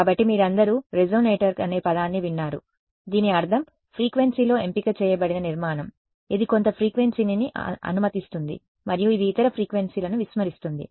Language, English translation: Telugu, So, you all have heard the word resonator it means that its a structure which is selective in frequency it allows some frequency and it disregards the other frequencies